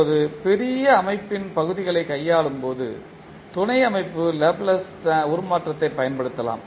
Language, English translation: Tamil, Now when dealing with the parts of the large system we may use subsystem Laplace transform